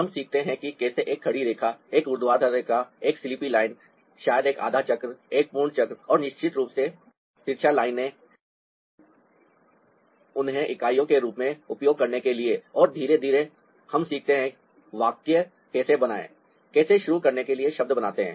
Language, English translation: Hindi, we learn how to make a standing line, a vertical line, ah sleepy line, maybe a half circle of full circle and of course, the slanting lines to ah, use them as units and slowly we learn how to form sentences, how to form words, to begin with